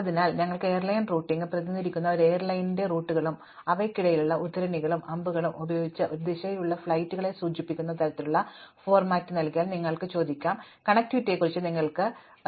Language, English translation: Malayalam, So, when we have airline routing, you might ask given the routes of an airline which are represented in this kind of a format, by cites and arrows between them indicating flights in one direction, you might ask questions about connectivity